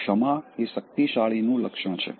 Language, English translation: Gujarati, Forgiveness is the attribute of the strong